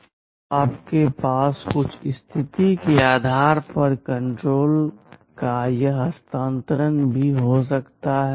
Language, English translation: Hindi, Now you can also have this transfer of control depending on some condition